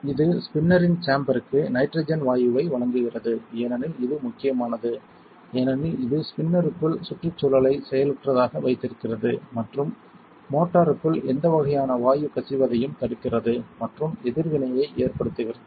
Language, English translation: Tamil, It provides nitrogen gas to the chamber of the spinner this is important because, it keeps the environment inert inside the spinner and prevents any kind of gas leaking into the motor and possibly causing a reaction